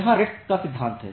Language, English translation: Hindi, So, here is the principle of RED